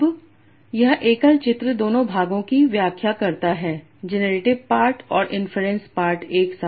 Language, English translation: Hindi, So now this single picture explains both the parts, the generative part and the inference part together